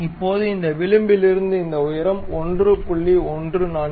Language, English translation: Tamil, Now, this height from this edge to this one supposed to 1